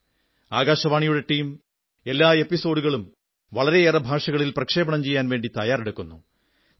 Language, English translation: Malayalam, The team from All India Radio prepares each episode for broadcast in a number of regional languages